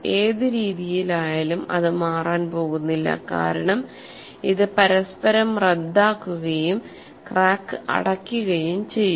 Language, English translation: Malayalam, In whatever way you put it, it is not going to change as this will cancel each other and the crack remains close